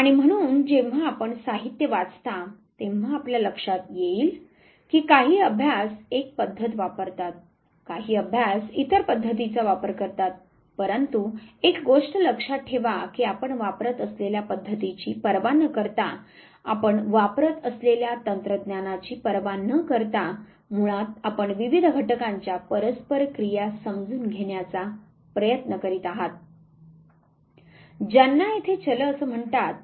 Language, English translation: Marathi, And therefore when you read the literature you would realize that some study they use one method, some study they use other method, but remember one thing that irrespective of the method that you use, irrespective of the technique that you use basically you are attempting to understand the interplay of various factors what are called as variables here